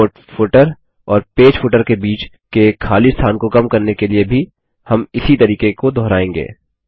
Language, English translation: Hindi, ltpausegt We will repeat the same steps to reduce the spacing between the Report footer and the Page footer also